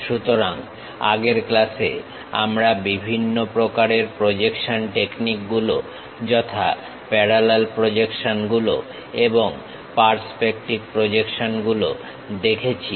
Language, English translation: Bengali, So, in the last class, we have seen different kind of projection techniques namely the parallel projections and perspective projections